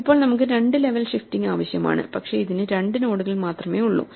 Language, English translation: Malayalam, Now, we need two levels of shifting, but we have only two nodes for this